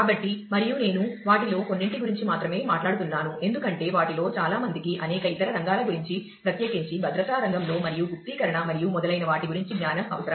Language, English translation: Telugu, So, and I am talking about only a few of them because, the many of them require knowledge about several other fields particularly, in the field of security and an encryption and so on